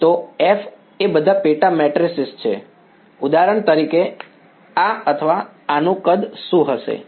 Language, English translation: Gujarati, So F are all sub matrices, F A A are sub matrices what will be the size of for example this or this